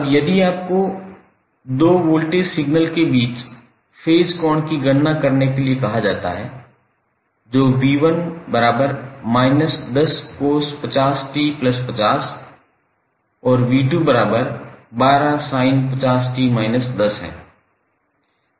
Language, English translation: Hindi, Now if you are asked to calculate the phase angle between two voltage signals, that is v1 is equal to minus 10 cost 50 t plus 50 degree and v2 is equal to 12 sine 50 t minus 10 degree